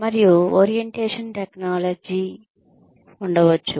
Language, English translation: Telugu, And, there could be orientation technology